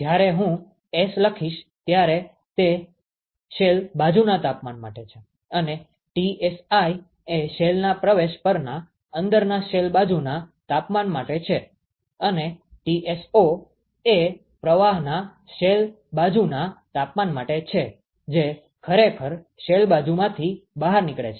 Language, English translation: Gujarati, So, here the nomenclature I will use is when I put S it stands for temperature on the shell side and Tsi stands for the ins shell side temperature at the inlet to the shell and Tso stands for the shell side temperature of the stream that is actually going out of the shell side